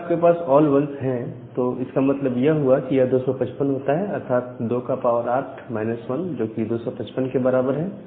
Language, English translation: Hindi, So, if you have all 1’s that means, it is it comes to be 255, 2 to the power 8 minus 1, so it comes to be 255